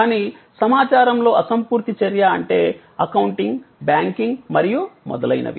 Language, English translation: Telugu, But, an information intangible action means like accounting, banking and so on